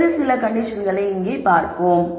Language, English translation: Tamil, Let us look at some other condition here